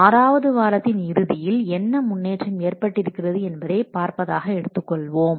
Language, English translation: Tamil, At the end of the sixth week, we want to know what is the progress that is shown here